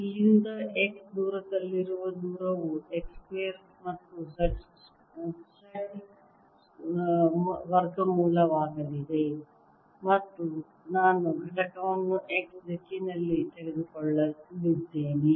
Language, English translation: Kannada, x is going to be square root of x square plus z square and i am going to take the component, the x direction